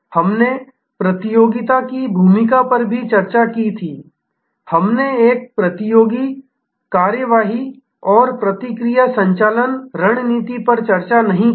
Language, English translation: Hindi, We had also discussed the role of the competition, we did not discuss a competitor action and reaction driven strategy